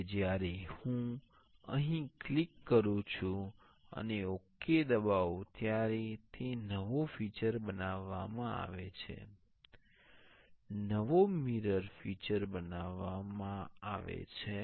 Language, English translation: Gujarati, Now, when I click here and press ok it is the new feature is created, the new mirrored feature is created